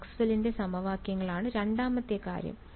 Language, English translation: Malayalam, Maxwell’s equations second thing is